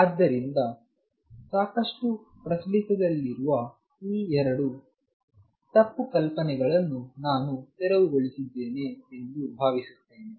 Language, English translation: Kannada, So, I hope I have cleared these 2 misconceptions which are quite prevalent